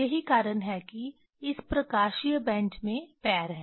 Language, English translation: Hindi, That is why this optical bench have feet